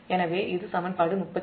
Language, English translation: Tamil, this is equation nine